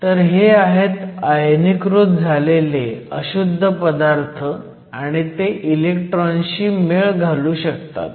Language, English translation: Marathi, So, these are ionized impurities and these can then interact with the electron